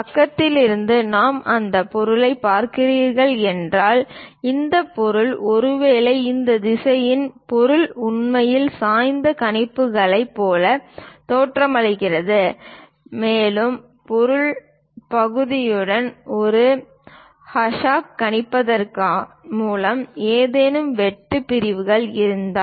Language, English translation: Tamil, From side, if we are looking at that object, that means, perhaps in this direction, how the object really looks like inclined projections and also if there are any cut sections by showing it like a hash with material portion